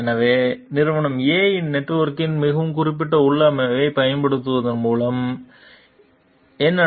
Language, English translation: Tamil, So, what is this by using a very specific configuration of company A s network